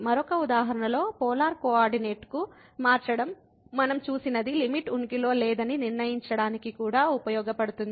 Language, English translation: Telugu, In another example what we have seen this changing to polar coordinate is also useful for determining that the limit does not exist